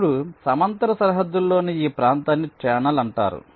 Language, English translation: Telugu, now this region within the parallel boundary is called as channel